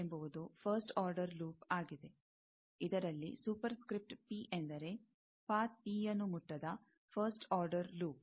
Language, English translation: Kannada, L l is the first order loop, with a superscript P means, first order loop not touching path P